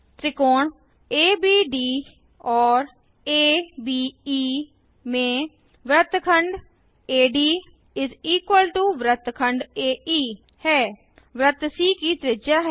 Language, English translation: Hindi, In triangles ADB and ABE Segment AD= segment AE (radii of the circle c)